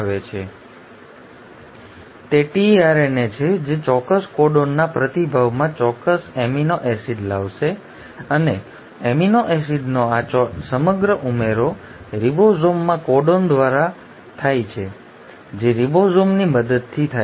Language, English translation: Gujarati, It is the tRNA which in response to a specific codon will bring in the specific amino acid and this entire adding of amino acid happens codon by codon in the ribosome, with the help of ribosome